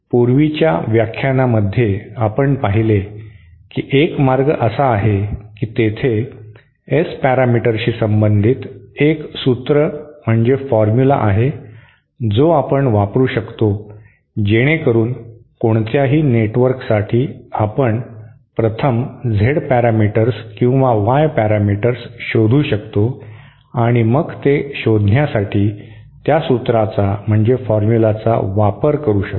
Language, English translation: Marathi, Now 1 way that we saw in the previous lecture was there was a formula relating the Z parameters to the S parameters we can use that so for any network we can first find out the Z parameters or Y parameters and then use that formula to find out the S parameters or if you want to know the S parameters and we want to find out the Y parameters we can do the reverse